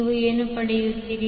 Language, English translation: Kannada, What you get